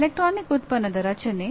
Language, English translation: Kannada, Structuring of an electronic product